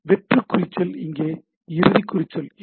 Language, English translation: Tamil, So, empty tag no closing tag here